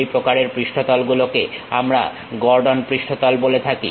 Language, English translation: Bengali, That kind of surfaces what we call Gordon surfaces